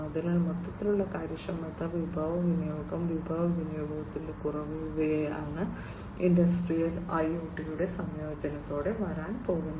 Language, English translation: Malayalam, So, overall efficiency resource utilization reduction in resource utilization, these are the things that are going to come with the incorporation with the incorporation of industrial IoT